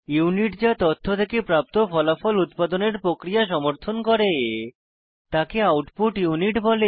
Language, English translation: Bengali, The unit that supports the process of producing results from the data, is the output unit